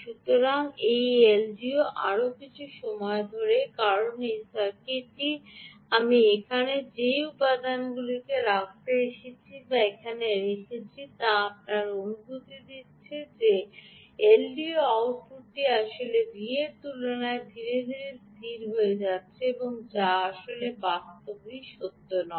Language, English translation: Bengali, first, look carefully here, this ah l d o, ah, um, so this l d o has taken a little more time because the circuit here i have put, the components i have put here, is giving you a feeling that the l d o output is settling down faster, as slower compared to that of the actual v out, which is actually in reality, not true